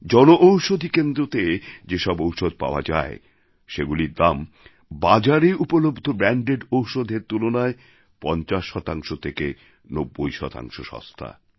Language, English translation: Bengali, Medicines available at the Jan Aushadhi Centres are 50% to 90% cheaper than branded drugs available in the market